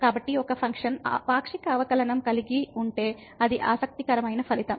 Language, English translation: Telugu, So, if a function can have partial derivative that is a interesting result